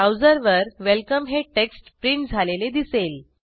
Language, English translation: Marathi, We see the text welcome printed on the browser